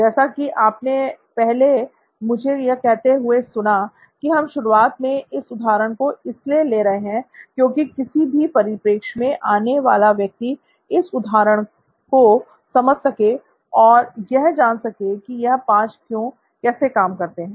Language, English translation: Hindi, As you heard me say earlier, so that is what we will look at as an illustration just to begin with so that anybody with any context can understand this example as to how these 5 Whys work